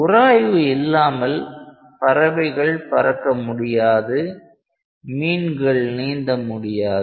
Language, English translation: Tamil, Without friction birds cannot fly and fish cannot swim